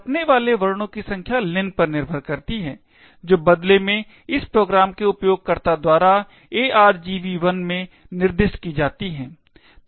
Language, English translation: Hindi, The number of characters that get printed depends on len and which in turn is specified by the user of this program in argv1